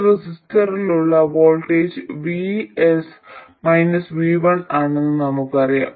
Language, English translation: Malayalam, We know that the voltage across this resistor is vS minus v1